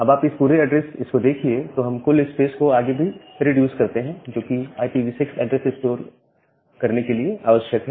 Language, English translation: Hindi, Now this entire address we further reduce the total spaces, that is required to store an IPv6 address